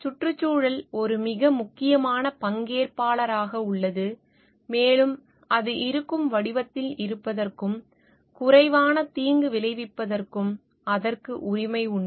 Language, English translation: Tamil, Environment is a very important stakeholder and it has a right to exist in the form as it is and to be less harmed